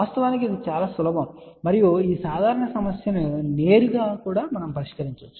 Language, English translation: Telugu, In fact, this was very simple in this simple problem can be also directly solved also